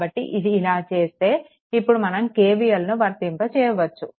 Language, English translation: Telugu, So, if you make, then now you what you do you apply KVL, right